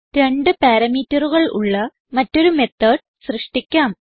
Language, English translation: Malayalam, Let us create another method which takes two parameter